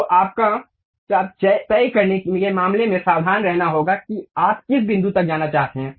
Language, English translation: Hindi, So, you have to be careful in terms of deciding arc up to which point level you would like to really go